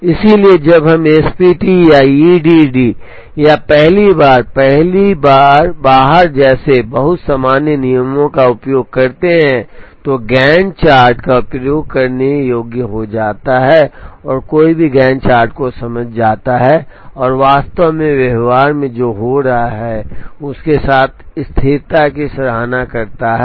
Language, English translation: Hindi, So, when we use very common rules like SPT or EDD or first in first out the, the Gantt chart becomes usable and any one can understand the Gantt chart and appreciate the consistency with what is actually happening in practice